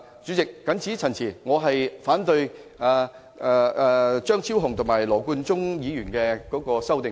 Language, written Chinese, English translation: Cantonese, 主席，我謹此陳辭，反對張超雄議員及羅冠聰議員的修正案。, With these remarks Chairman I oppose the amendments proposed by Dr Fernando CHEUNG and Mr Nathan LAW